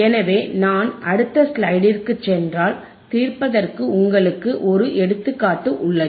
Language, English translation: Tamil, So, if I go on the next slide, then you have an example to solve